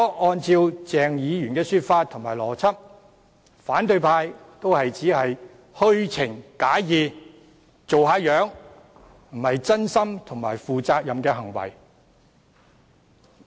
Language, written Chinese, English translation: Cantonese, 按照鄭議員的說法和邏輯，反對派亦只是虛情假意，惺惺作態，並非真心和負責任的行為。, According to the view and rationale of Dr CHENG such actions of the opposition camp are only faked and insincere pretences which are neither genuine nor responsible